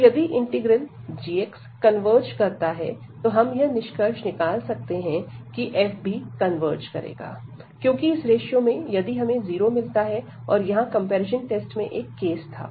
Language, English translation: Hindi, So, if this g x integral g x converges, then we can conclude that the f will also converge, because from this ratio if we are getting this 0 and that was one case in the comparison test